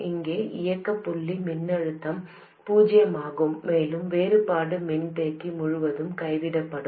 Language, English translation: Tamil, The operating point voltage here is 0 and the difference will be dropped across the capacitor